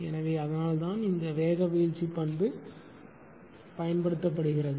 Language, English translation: Tamil, So, that is why this speed droop characteristic is used